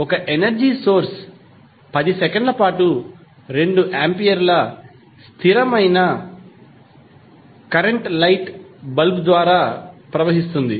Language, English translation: Telugu, An energy source forces a constant current of 2 ampere for 10 seconds to flow through a light bulb